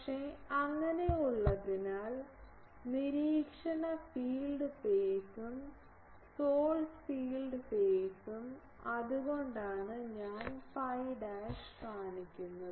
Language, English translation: Malayalam, But, since there is also phi so, the observation field phi and source field phi that is why I am showing phi dash